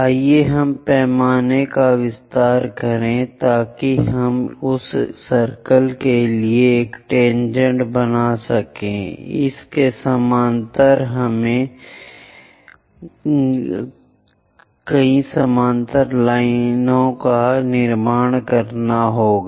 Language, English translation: Hindi, This is let us extend the scale so that we can draw a tangent to that circle, parallel to that we have to move to construct parallel lines